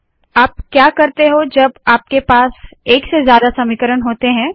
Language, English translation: Hindi, What do you do when you have more than one equation